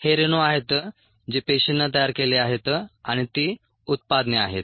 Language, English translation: Marathi, these are: these are the molecules that are produced by the cells and they are the products